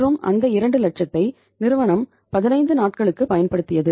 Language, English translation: Tamil, And that 2 lakh rupees uh the firm has used for a period of say 15 days